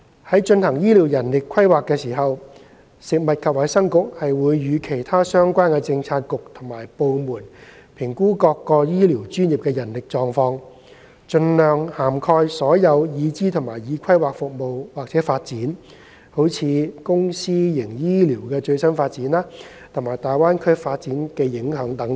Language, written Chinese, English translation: Cantonese, 在進行醫療人力規劃時，食物及衞生局會與其他相關政策局及部門評估各醫療專業的人力狀況，盡量涵蓋所有已知和已規劃服務/發展，如公私營醫療的最新發展，以及大灣區的發展和影響等。, In conducting health care manpower planning the Food and Health Bureau will in collaboration with relevant Policy Bureaux and departments assess the manpower situations of various health care professionals by taking into account all the known and planned servicesdevelopments as far as possible such as the latest development of public and private hospitals the development of the Greater Bay Area and its implications etc